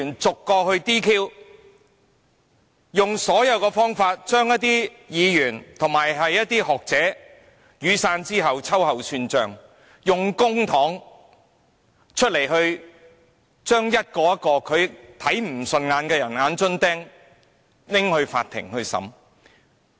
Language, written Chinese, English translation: Cantonese, 在雨傘運動後，他用盡方法對一些議員及學者秋後算帳，用公帑將一個個他看不順眼的"眼中釘"交給法庭審理。, After the Umbrella Movement he has exploited every means to take reprisals against certain Members and scholars and used public money to bring all people he hates to court and put them on trial